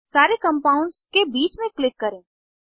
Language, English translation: Hindi, Click between all the compounds